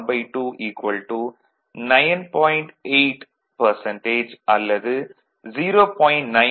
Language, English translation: Tamil, 8 percent or 0